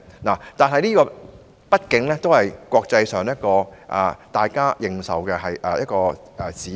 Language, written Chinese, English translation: Cantonese, 不過，它畢竟是在國際上具認受性的指標。, Notwithstanding this the Gini coefficient is an indicator which has gained international recognition after all